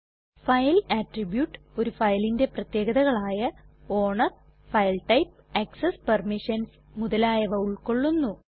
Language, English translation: Malayalam, File attribute is the characteristics that describe a file, such as owner, file type, access permissions, etc